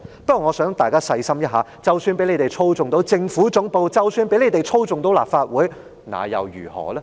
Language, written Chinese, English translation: Cantonese, 不過，我想大家細心思考一下，即使他們操控了政府總部和立法會，那又如何？, Having said that I would like Members to think about one point carefully . Even though they are in control of the Central Government Office and the Legislative Council so what?